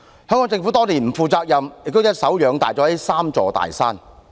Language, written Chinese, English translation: Cantonese, 香港政府多年來不負責任，亦一手養大了這"三座大山"。, For many years the Hong Kong Government has behaved irresponsibly and fostered the growth of these three big mountains